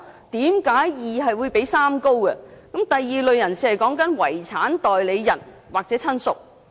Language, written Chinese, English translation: Cantonese, 第二類"訂明申索人"是"遺產代理人"或"親屬"。, The second category of prescribed claimant is personal representative or relative